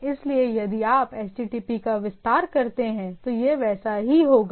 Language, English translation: Hindi, So, if you if you expand the HTTP, it will be looking like that